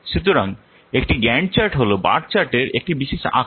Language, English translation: Bengali, So Gant chart is a special form of bar chart